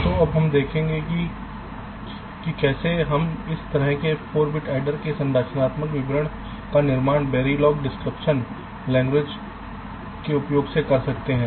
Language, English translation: Hindi, right, so now shall see how we can create ah structural description of this four bit adder using sum description language like verylog